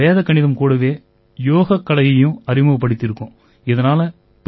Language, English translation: Tamil, As such, we have also introduced Yoga with Vedic Mathematics